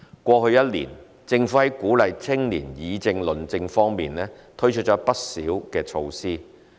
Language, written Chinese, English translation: Cantonese, 過去1年，政府在鼓勵青年議政論政方面推出了不少措施。, Over the past year the Government has rolled out a number of initiatives to encourage participation of young people in policy discussion and debate